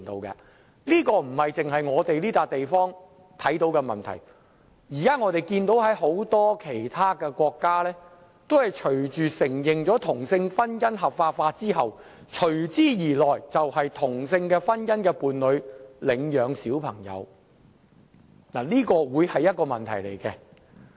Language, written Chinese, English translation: Cantonese, 這不獨是在香港會出現的問題，我們看到很多其他國家在承認同性婚姻合法化後，隨之而來就要面對同性婚姻伴侶領養兒童的問題，這將會是一個問題。, This problem will not be unique to Hong Kong . We can see that many other countries now face problems in adoption of children by same - sex marriage partners after the legality of same - sex marriage is given recognition . This will be a problem